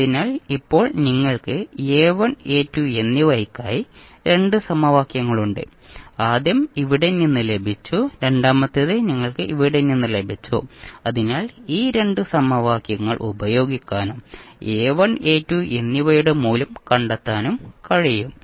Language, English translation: Malayalam, So, now you have 2 equations for A1 and A2 first you got from here and second you got from here, so you can use theseis 2 equations and find out the value of A1 and A2